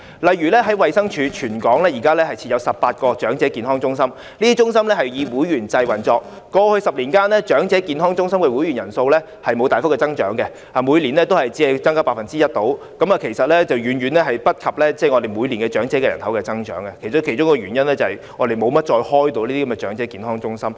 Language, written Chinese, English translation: Cantonese, 例如，現時衞生署在全港設有18間長者健康中心，以會員制運作，在過去10年間，長者健康中心的會員人數沒有大幅增長，每年只是大約增加 1%， 遠遠趕不上每年長者人口的增長，當中一個原因，是我們沒有再怎樣開設這些長者健康中心。, Elderly Health Centres established by the Department of Health in 18 districts across the territory are operated by a membership system . In the past 10 years there was no major growth in their membership . The annual growth was about 1 % which lagged far behind the annual growth in the number of elderly persons